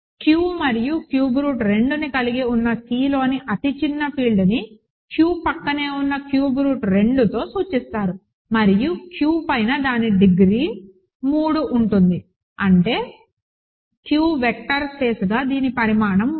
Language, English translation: Telugu, The smallest field in C that contains Q and cube root of 2 is denoted by Q adjoined cube root of 2 and the degree of that over Q is 3; that means, the dimension of this as a Q vector space is 3, ok